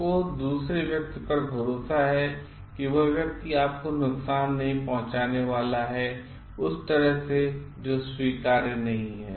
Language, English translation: Hindi, So, you have confidence in the other person that person is not going to harm you and in a way which is not acceptable by you